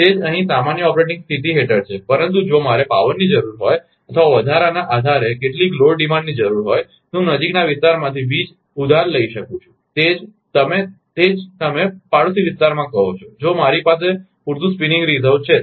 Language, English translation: Gujarati, Same is here under normal operating condition, but if I need power or some load demands on an increase, then I can borrow power from the adjusting, you are what you call from the neighboring areas; if I have sufficient spinning reserve